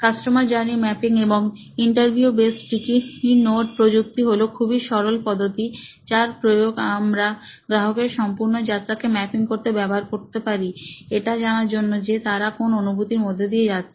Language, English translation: Bengali, It is a very simple technique, and interview based sticky note technique that you can use to map the entire journey that any of your customer is going through